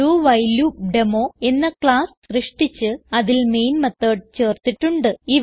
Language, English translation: Malayalam, We have created a class DoWhileDemo and added the main method to it